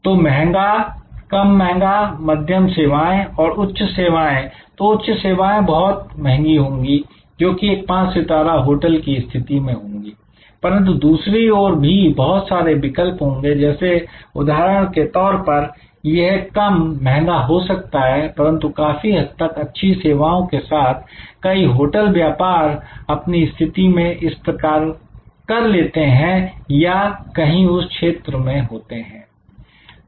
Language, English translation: Hindi, So, expensive less expensive, moderate service and high service, so high service an expensive this is kind of a five star position for a hotel, but there can be multiple other choices like from example it can be less expensive, but reasonably good service many business hotel position themselves like this or are somewhere in this region